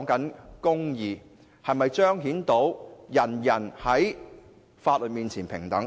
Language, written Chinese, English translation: Cantonese, 這關乎是否彰顯到法律面前人人平等。, It concerns whether equality before the law can be manifested